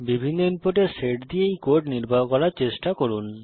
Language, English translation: Bengali, Try executing this code with different set of inputs